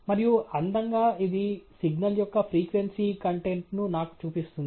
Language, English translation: Telugu, And beautifully it shows me the frequency content of the signal